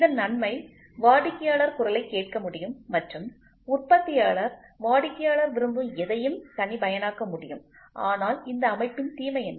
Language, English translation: Tamil, The advantage of it was the customer voice could be listened and the manufacturer could produce customized to whatever the customer wants, but what was the disadvantage of this system